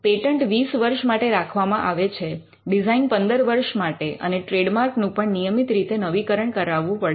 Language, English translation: Gujarati, Patent patents are kept for 20 years designs for 15 years trademarks have to be kept renewed at regular intervals